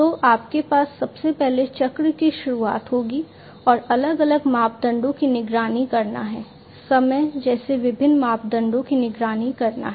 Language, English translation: Hindi, So, you have first of all the starting of the cycle and monitoring different parameters; monitoring different parameters such as time etc